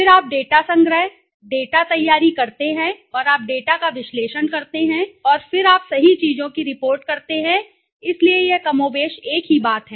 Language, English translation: Hindi, Then you do the data collection, data preparation and you analysis the data and then you report right things, so this is more or less a same thing, right